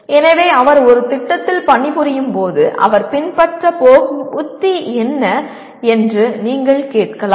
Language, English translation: Tamil, So you can ask what is the strategy that he is going to follow when he is working on a project